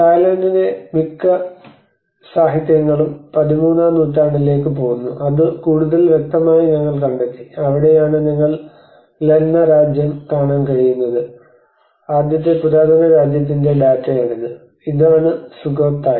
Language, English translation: Malayalam, Much of the literature of Thailand goes back to 13th century which we found more evident that is where the Lanna Kingdom where you can see the Lanna Kingdom and this is the data for of the first ancient kingdom which is Sukhothai